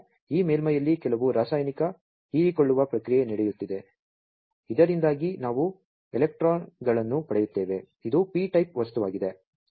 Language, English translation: Kannada, So, there is some chemical absorption process taking place on this surface, due to which we are getting the electrons this is a p type material